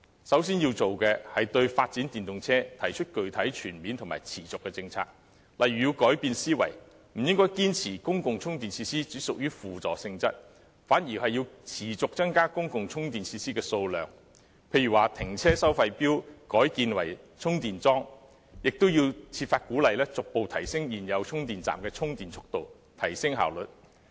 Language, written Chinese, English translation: Cantonese, 首先要做的是，對發展電動車提出具體、全面和持續的政策，例如要改變思維，不應堅持公共充電設施只屬輔助性質，反而要持續增加公共充電設施的數量，例如停車收費錶改建為充電裝置，亦要設法鼓勵逐步提升現有充電站的充電速度，提升效率。, First of all it has to put forward a specific holistic and sustainable policy on the development of EVs . For instance it has to change its mindset that public charging facilities are only supportive in nature . On the contrary it has to keep on increasing the amount of public charging facilities like installing charging devices to parking meters